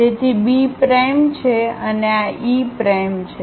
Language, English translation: Gujarati, So, B prime and this is E prime